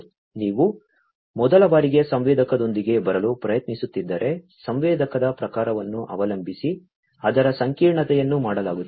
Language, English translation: Kannada, If you are trying to come up with a sensor for the first time, you know, depending on the type of sensor being made the complexity of it and so on